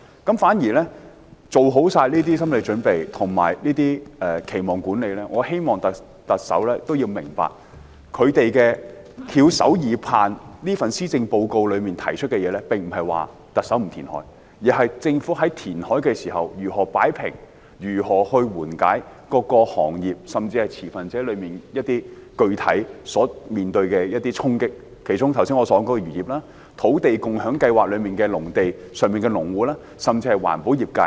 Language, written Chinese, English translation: Cantonese, 在漁民作好心理準備和期望管理後，我希望特首明白，他們翹首以盼，希望特首在這份施政報告提出的，並不是不進行填海，而是在進行填海時，政府如何擺平及緩解各個行業，甚至是各持份者具體面對的一些衝擊，其中包括我剛才提到的漁業、土地共享先導計劃下的農地所涉及的農戶，甚至是環保業界。, While fishermen are psychologically prepared and have done their expectation management I hope the Chief Executive will understand that what they have longed for the Chief Executive to propose in this Policy Address is not refraining from reclamation . Rather it is how the Government will strike a balance and relieve the impacts specifically faced by various industries and also stakeholders with the onset of reclamation . They include the fisheries industry mentioned by me just now farmers involved in the agricultural land under the Land Sharing Pilot Scheme and even the environmental protection industry